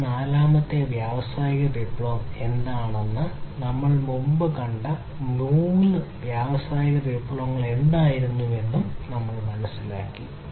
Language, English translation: Malayalam, We have understood, what is this fourth industrial revolution, what were what were the previous three industrial revolutions that we have seen